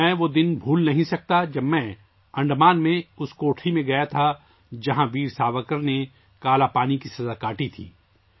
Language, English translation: Urdu, I cannot forget the day when I went to the cell in Andaman where Veer Savarkar underwent the sentence of Kalapani